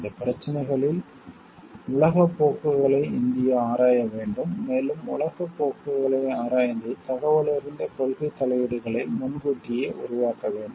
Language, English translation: Tamil, On all these issues India needs to examine world trends and proactively develop informed policy interventions